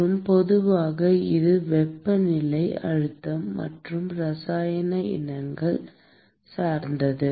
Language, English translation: Tamil, And typically it depends on temperature, pressure and the chemical species itself